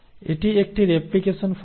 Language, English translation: Bengali, So this is a replication fork